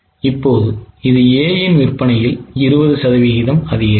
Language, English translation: Tamil, Now this 20% increase in sales of A has led to new profit of 1